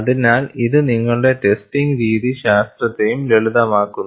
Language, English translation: Malayalam, So, that simplifies your testing methodology also